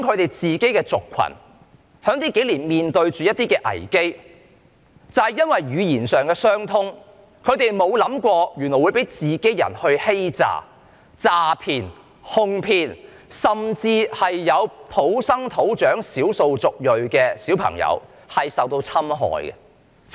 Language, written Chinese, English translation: Cantonese, 他說他們的族群近年面對一些危機，因為語言上的相通，他們沒有想過會被同鄉欺詐、詐騙、哄騙，甚至有土生土長的少數族裔的小朋友受到侵害。, He said that their ethnic group had been facing some crises in recent years . It never occurred to them that they might be deceived defrauded and coaxed by their fellow countrymen who share the same language with them and even their locally born and bred ethnic minority children had been victimized